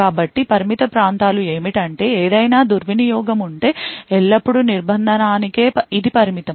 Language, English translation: Telugu, So, what the confined areas achieved was that any misbehavior is always restricted to this confinement